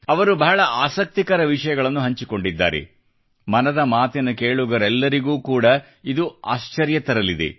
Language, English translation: Kannada, He has shared very interesting facts which will astonish even the listeners of 'Man kiBaat'